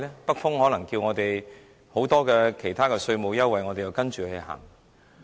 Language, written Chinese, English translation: Cantonese, 北風可能叫我們提供其他稅務優惠，我們又要跟着走嗎？, Perhaps the northerly wind may ask us to provide other tax concessions . Should we have to tail after them?